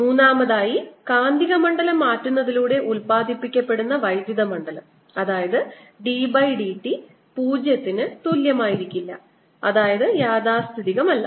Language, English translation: Malayalam, third point we made was that the electric field produced by changing magnetic field that means d b, d t, not equal to zero is not conservative